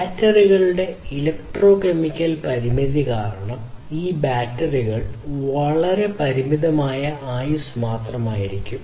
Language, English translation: Malayalam, And due to the electrochemical limitation of the batteries; so, what happens is these batteries will have a very limited lifetime